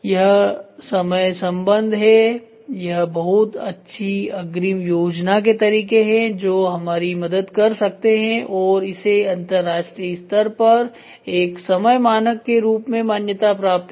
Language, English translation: Hindi, It’s time relationship, it is very good advance planning and methods it can help and it is internationally recognized as a time standard